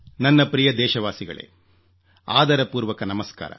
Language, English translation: Kannada, My dear countrymen, Saadar Namaskar